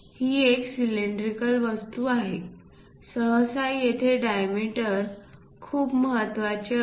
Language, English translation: Marathi, It is a cylindrical object, usually the diameters matters a lot